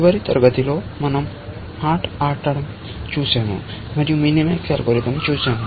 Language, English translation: Telugu, We are looking at game playing and in the last class, we saw the minimax algorithm